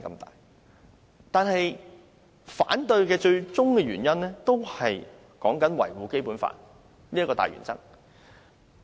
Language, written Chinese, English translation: Cantonese, 但是我反對的最終原因就是要維護《基本法》這個大原則。, Anyway my opposition is ultimately based on the major principle of safeguarding the Basic Law